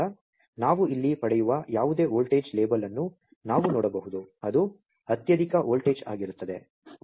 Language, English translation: Kannada, So, we can see whatever the voltage label we are getting here it will be the highest voltage